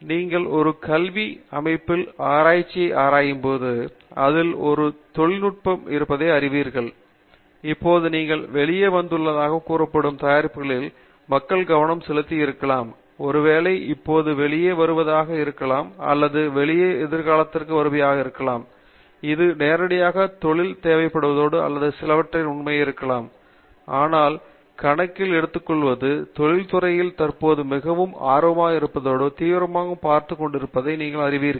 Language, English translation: Tamil, See now, when you look at research in an academic setting and then you know there is the industrial setting, where you know people are focused on products that are supposed to come out may be are probably coming out right now or they are coming out in the immediate near future, so sometimes there is always this perception that may be research is doing something which is not directly in line with what the industry is required and may be some of it may even be true, But taking all that into account, are there specific areas of research that are there in your field that you know industry is currently very interested in and are actively looking at